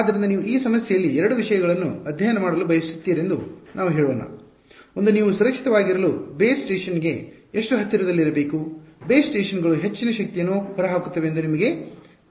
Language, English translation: Kannada, So, let us say in this problem you want to study two things; one is how close should you be to the base station to be safe; you know that base stations towers they put out a lot of power